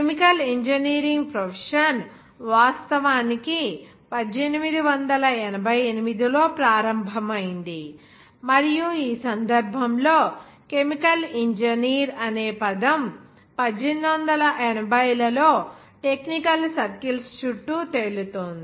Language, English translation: Telugu, The chemical engineering profession actually began in 1888, and the term, in that case, the chemical engineer, had been floating around technical circles throughout the year 1880s